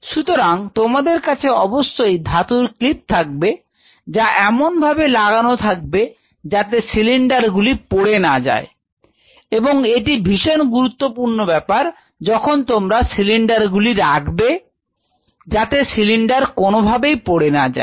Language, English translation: Bengali, So, you should have proper metallic clips to ensure the cylinder does not fall this is absolute, absolute, absolute essential where you are keeping the cylinder, ensure that that cylinder does not fall